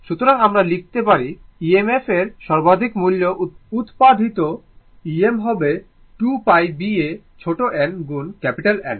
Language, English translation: Bengali, So, is equal to we can write that means, the maximum value of the EMF generated E m will be 2 pi B a small n into capital N right